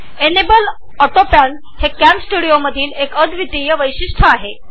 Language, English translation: Marathi, The Enable Autopan feature is a unique feature of CamStudio